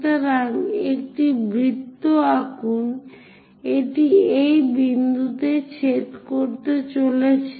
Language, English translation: Bengali, So, draw a circle, it is going to intersect at this point Q